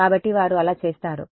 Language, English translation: Telugu, So, that is how they do